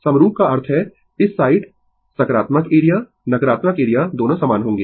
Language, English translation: Hindi, Identical means, this side positive area negative area both will be same right